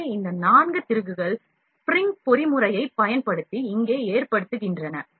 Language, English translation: Tamil, So, these 4 screws are have are loaded here using spring mechanism